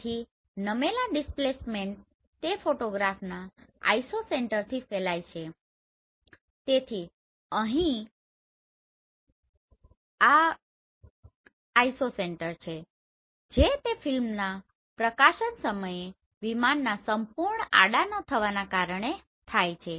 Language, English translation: Gujarati, So tilt displacement it radiates from the Isocenter of a photograph so here this is the Isocenter it is caused by the aircraft not being perfectly horizontal at the time of exposure of the film right